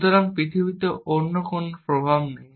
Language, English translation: Bengali, So, there is no other influence in the world